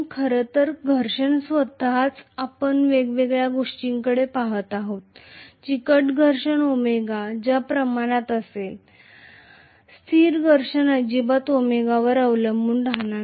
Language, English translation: Marathi, In fact friction itself we will looking at different things, viscous friction will be proportional to omega, static friction will not be dependent upon omega at all